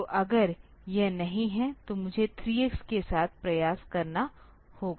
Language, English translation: Hindi, So, then if it is not then I have to try with 3 x